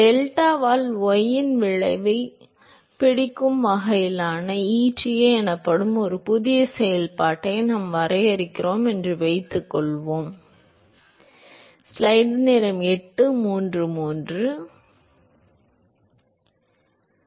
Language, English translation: Tamil, Well he said suppose we assume that we define a new function called eta which essentially sort of characterizes the captures the effect of y by delta